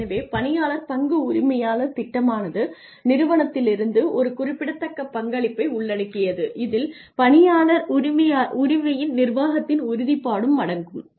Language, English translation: Tamil, So, employee stock ownership plan involves a significant contribution from the organization to the plan it also includes a commitment of management to the employee ownership